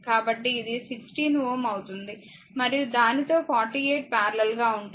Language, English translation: Telugu, So, it will be 16 volt right and with that 48 is in parallel right